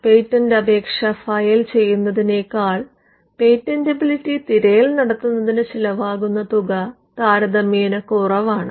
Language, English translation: Malayalam, The cost of generating a patentability search is much less than the cost of filing a patent application